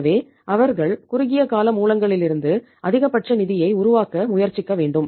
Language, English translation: Tamil, So they should try to generate maximum funds from short term sources